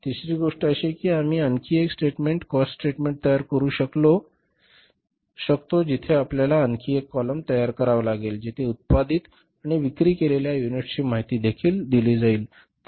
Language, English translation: Marathi, Third thing can be that we can prepare one more statement, cost statement where we will have to make one more column where the information about the units produced and sold is also given